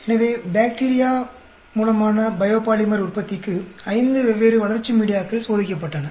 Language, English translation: Tamil, So, five different growth media were tested for bacterial production of a biopolymer